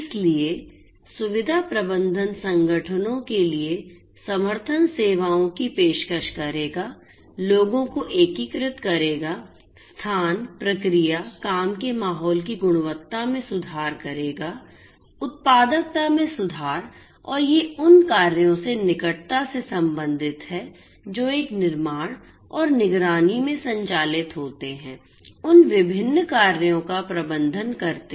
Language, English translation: Hindi, services for organizations, would integrate people, place, process, would improve the quality of the working environment, would improve productivity and these are closely related to the operations that are conducted in a building and monitoring, managing those different operations